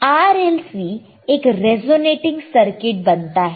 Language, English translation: Hindi, Now, RLC forms a resonating circuit